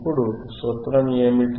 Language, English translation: Telugu, Now what is the formula